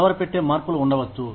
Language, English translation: Telugu, There could be unsettling changes